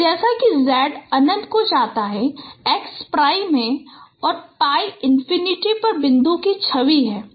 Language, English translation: Hindi, So as j tends to infinity, x prime is the image of point on pi infinity